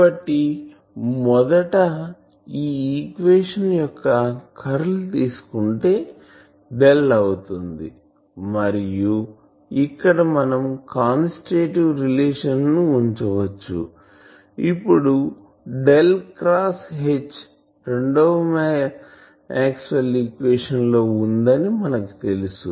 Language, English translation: Telugu, So, that we do by actually you know that if we take the curl of the first equation then we get so that will be Del and here we can put the constitutive relation, then Del cross H was there in the second Maxwell’s equation